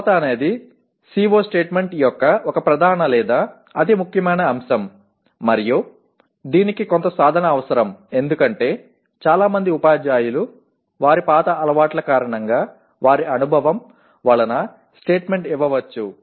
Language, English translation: Telugu, Measurability is one major or most important aspect of a CO statement and this requires certain amount of practice because what we observed many teachers kind of because of their old their habits may slip into a statement